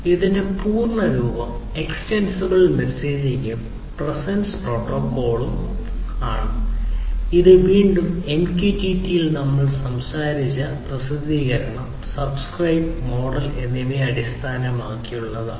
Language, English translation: Malayalam, The full form of which is Extensible Messaging and Presence Protocol, which is again based on publish, subscribe, model that we talked about in the context of what; in the context of in the context of a MQTT right